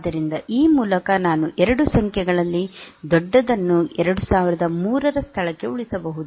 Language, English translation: Kannada, So, by this I can save the larger of the 2 numbers in to the location 2003